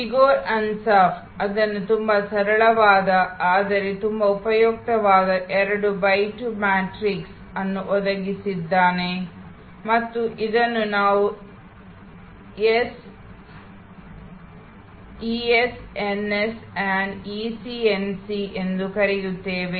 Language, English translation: Kannada, Igor Ansoff had provided this very simple, but very useful 2 by 2 matrix and we call this the so called ES, NS and EC NC